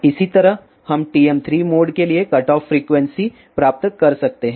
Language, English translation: Hindi, Similarly, we can get cutoff frequency for TM 3 mode